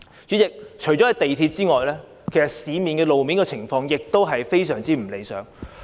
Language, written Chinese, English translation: Cantonese, 主席，除了港鐵之外，路面的情況亦非常不理想。, President apart from the MTR the road traffic condition is also extremely undesirable